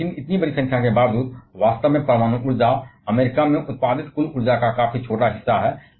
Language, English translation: Hindi, So, despite such a large numbers, actually nuclear energy is a quite small portion of the total energy produced in US